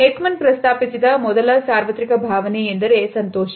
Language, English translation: Kannada, The first universal emotion which has been mentioned by Ekman is happiness